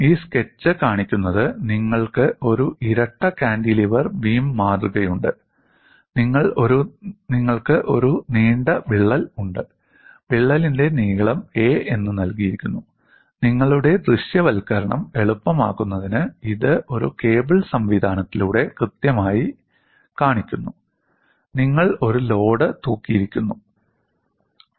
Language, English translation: Malayalam, What this sketch shows is, you have a double cantilever beam specimen, you have a long crack, the crack link is given as a, and to make your visualization easier, it clearly shows through a cable system, you are hanging a load P